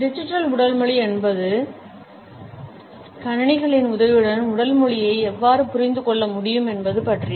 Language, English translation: Tamil, Digital Body Language is about how with the help of computers, we can understand body language